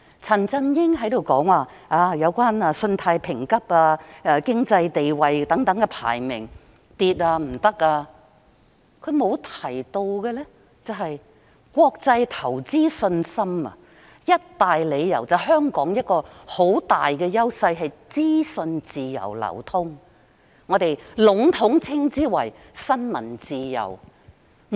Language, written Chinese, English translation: Cantonese, 陳振英議員說香港的信貸評級及經濟地位排名下跌，糟糕了，但他沒有提到的是，我們很大的優勢是國際投資者對香港有信心，其中一大理由便是香港資訊自由流通，我們籠統稱之為新聞自由。, Mr CHAN Chun - ying said that the credit rating and economic ranking of Hong Kong had fallen; that was bad . However he has not mentioned that one of our edges which gain international investors confidence in Hong Kong is the free flow of information in Hong Kong commonly known as press freedom